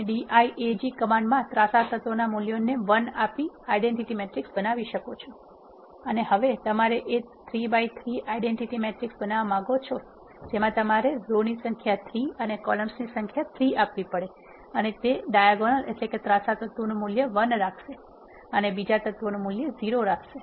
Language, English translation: Gujarati, You can create an identity matrices in the diag command with the values in the diagonals has to be 1 and then let us say you want to create a 3 by 3 identity matrix you have to specify then rows as 3 and number of columns as 3 and it will put 1 in the diagonals with all other elements as 0